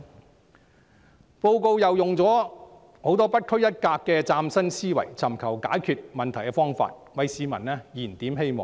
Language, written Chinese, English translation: Cantonese, 施政報告亦以不拘一格的大量嶄新思維，尋求解決問題的方法，為市民"燃點希望"。, In the Policy Address many innovative ideas are explored to seek solutions to problems so as to Rekindle Hope for the people